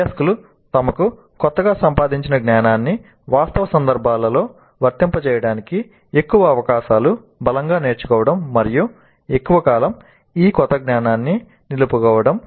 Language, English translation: Telugu, The more the opportunities for the learners to apply their newly acquired knowledge in real contexts that are relevant to them, the stronger will be the learning and the longer will be the retaining of this new knowledge